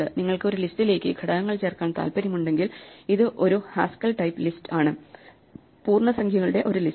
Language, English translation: Malayalam, If you want to add up the elements in a list, so this Haskell's type for a list of integers, so it takes a list of integers and produces an integer